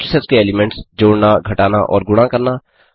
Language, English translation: Hindi, Add,subtract and multiply the elements of matrix